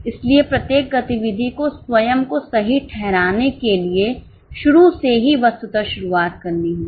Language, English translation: Hindi, So, every activity has to virtually start from the beginning to justify itself